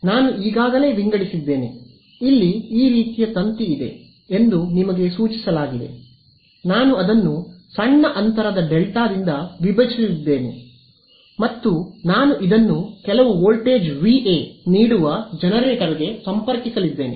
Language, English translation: Kannada, So, one I have already sort of indicated to you that here is your sort of wire, I am just going to split it by a small gap delta and I am going to connect this to a generator which puts some voltage V A